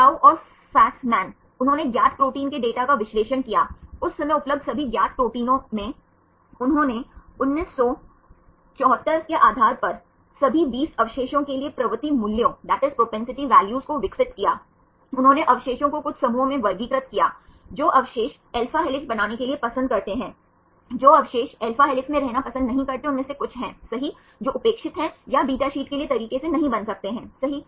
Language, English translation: Hindi, Chou and Fasman; they analysed data of the known proteins, all the known proteins available at that time 1974 they developed the propensity values for all the 20 residues based on that they classified the residues into few groups, which residues prefer to form alpha helix, which residues they do not prefer to be in alpha helix right some of them which are indifference may or may not form right likewise for the beta sheets